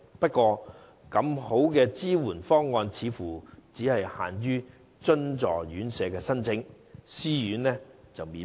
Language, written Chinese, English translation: Cantonese, 不過，這麼好的支援方案，只限津助院舍申請，私營院舍則免問。, However this splendid support proposal is only open for application by subsidized homes but not self - financing RCHEs